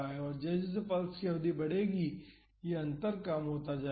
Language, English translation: Hindi, So, as the duration of the pulse increases this difference will come down